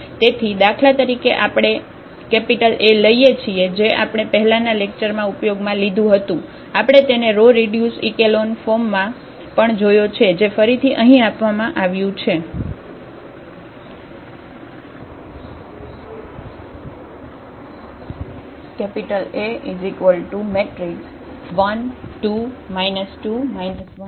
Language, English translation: Gujarati, So, for instance we take this A, which was already used in previous lectures we have also seen its row reduced echelon form which is given here again